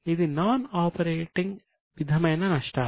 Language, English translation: Telugu, So, this is a non operating type of losses